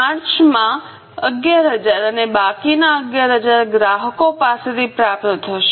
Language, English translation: Gujarati, 11,000 and remaining 11,000 will be received from customers in March